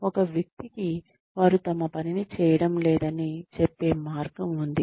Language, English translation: Telugu, There is a way of telling a person, that they are not doing their work